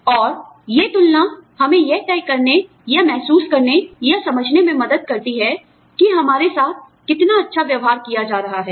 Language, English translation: Hindi, And, these comparisons, help us decide, or feel, or understand, how fairly, we are being treated